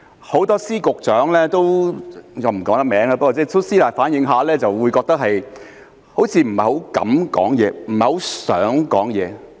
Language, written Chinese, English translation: Cantonese, 很多司局長——我不能公開名字——都私底下反映好像不太敢發聲，不太想發聲。, Many Secretaries of Departments and Directors of Bureaux―I cannot disclose their names―have privately revealed that they do not quite dare to speak out nor do they quite want to